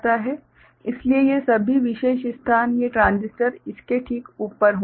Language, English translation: Hindi, So, all of these particular places these transistors will be on right up to this